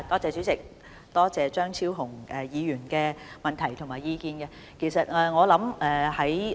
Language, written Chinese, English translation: Cantonese, 主席，感謝張超雄議員的補充質詢及意見。, President I thank Dr Fernando CHEUNG for his supplementary question and view